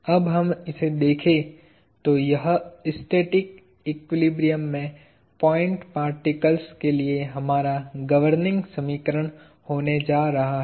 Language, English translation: Hindi, So, this… If we look at this; so, this is going to be our governing equation for point particles in static equilibrium